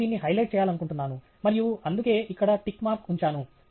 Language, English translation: Telugu, I just want to highlight it and that’s why I put the tick mark here